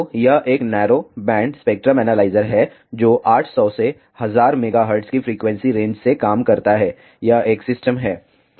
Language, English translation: Hindi, So, this is a narrow band spectrum analyzer, which works from the frequency range of 800 to 1000 megahertz this is a system